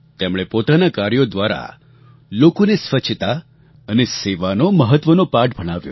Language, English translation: Gujarati, Through her work, she spread the message of the importance of cleanliness and service to mankind